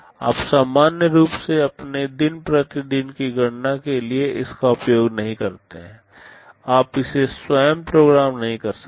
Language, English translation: Hindi, You normally do not use it for your day to day computation, you cannot program it yourself